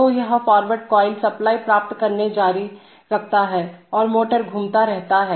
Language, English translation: Hindi, So this forward coil continues to get supply and the motor continues to rotate